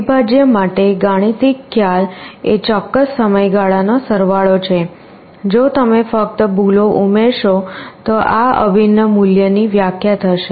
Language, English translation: Gujarati, For integral the mathematical concept is summation over a certain period of time, if you just add up the errors this will define the value of the integral